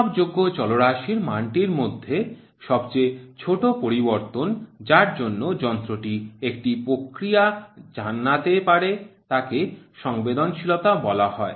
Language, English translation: Bengali, The smallest change in the value of the measured variable to which the instrument can respond is called as sensitivity, very important definition